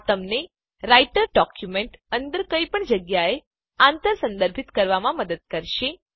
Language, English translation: Gujarati, These will help to cross reference them anywhere within the Writer document